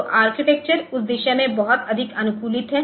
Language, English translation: Hindi, So, architecture is very much optimized towards that